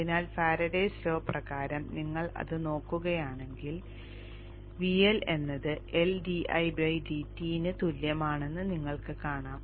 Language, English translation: Malayalam, So by the Faraday's law if you look at that you will see that the L is equal to L, D